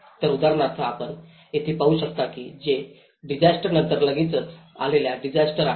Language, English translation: Marathi, So for instance, what you can see here is in the disaster of response immediately after a disaster